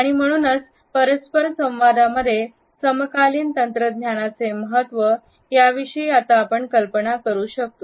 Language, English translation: Marathi, So, we can imagine the contemporary impact of technology in our understanding of interpersonal behaviour